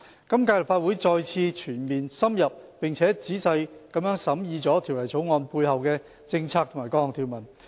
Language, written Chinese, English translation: Cantonese, 今屆立法會再次全面、深入並仔細地審議了《條例草案》背後的政策及各項條文。, The current Legislative Council has once again scrutinized the underlying policy and various provisions of the Bill in a comprehensive in - depth and detailed manner